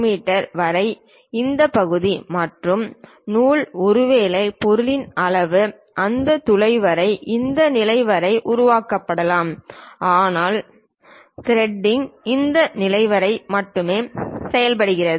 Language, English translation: Tamil, So, from here it is 22 mm up to this portion and thread perhaps the object size is up to that hole might be created up to this level, but threading is done up to this level only